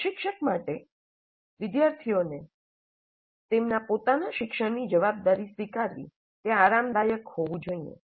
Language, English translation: Gujarati, Instructor must be comfortable with students assuming responsibility for their own learning